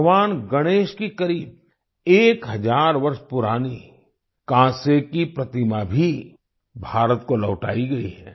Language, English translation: Hindi, Nearly a thousand year old bronze statue of Lord Ganesha has also been returned to India